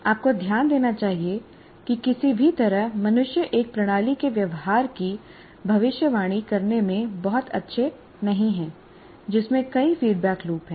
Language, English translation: Hindi, You should note that somehow human beings are not very good at what do you call predicting the behavior of a system that has several feedback loops inside